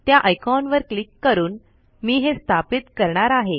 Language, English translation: Marathi, I begin installation by clicking that icon